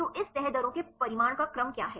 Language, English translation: Hindi, So, what is the order of magnitude of this folding rates